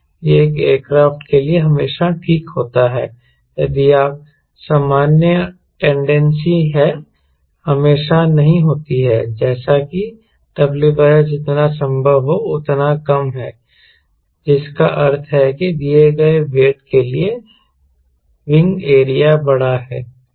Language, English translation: Hindi, it is always fine for an aircraft if you general tendency, not obvious, but i like to have w by s as low as possible, meaning there by that for a given weight, wing area is large